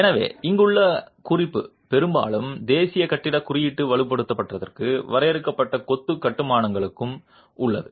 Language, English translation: Tamil, So, the reference here is largely to what the National Building Code has for reinforced for confined masonry constructions